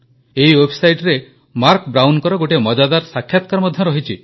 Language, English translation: Odia, You can also find a very interesting interview of Marc Brown on this website